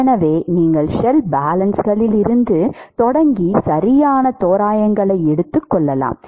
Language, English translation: Tamil, So, you can start from shell balances and take put the right approximations and you will see that you will get this